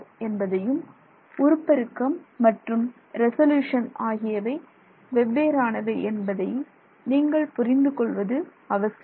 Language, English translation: Tamil, This is very important to understand that magnification and resolution are very different